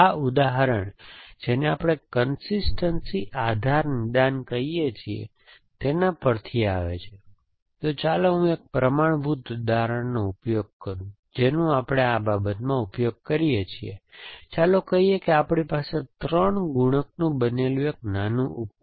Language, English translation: Gujarati, This example comes from, what we call is consistency base diagnosis, so let me use one standard example which we use in this thing, let say we have a small device made up of 3 multiplier